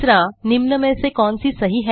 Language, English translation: Hindi, Which of the following is correct